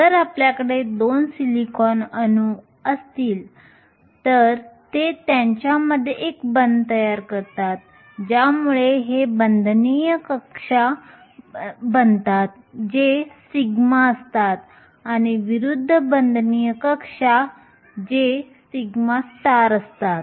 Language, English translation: Marathi, If you have 2 silicon atoms, they form a bond between them this forms the bonding orbitals which is the sigma and the anti bonding orbital that is the sigma star